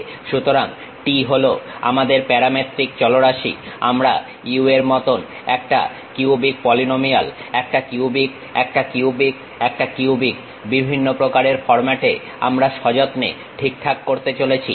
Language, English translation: Bengali, So, t is our parametric variable, like our u, a cubic polynomial, a cubic, a cubic, a cubic in different kind of formats we are going to carefully adjust